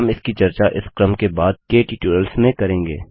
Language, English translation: Hindi, We will discuss it in the later tutorials of this series